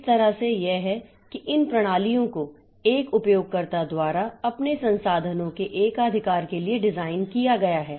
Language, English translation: Hindi, So, that way it is that this systems are designed for one user to monopolize its resources